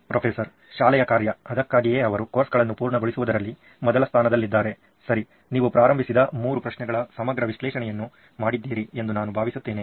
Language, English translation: Kannada, The function of the school itself, this is why they exist in the first place to complete courses, okay I think you have done a comprehensive analysis of the three questions that you started off with